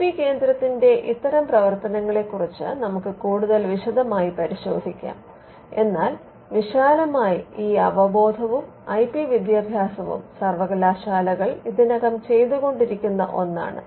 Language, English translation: Malayalam, Now, these we will look at these the functions of an IP centre in greater detail, but broadly you would know that awareness and educational IP education is something that universities are already doing